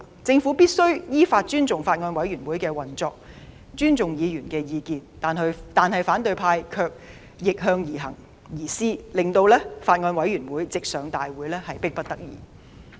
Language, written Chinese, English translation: Cantonese, 政府必須亦依法尊重法案委員會的運作，亦尊重議員的意見，但反對派卻逆向而施，故將法案直接提交立法會會議審議乃迫不得已。, The Government must and does respect the operation of the Bills Committee and views of Members in accordance with the law but the opposition camp has done the opposite . Hence with no other way out the Bill could only go straight to a Council meeting for consideration